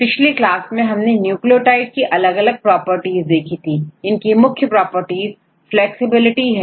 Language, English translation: Hindi, Last class we discussed about various properties from the nucleotides right what various properties we discussed in the last class